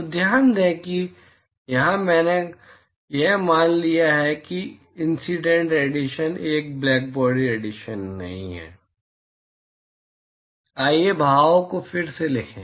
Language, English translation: Hindi, So, note that here I have assumed that the incident radiation is not a blackbody radiation